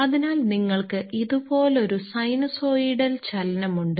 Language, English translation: Malayalam, So, you are having a sinusoidal motion like this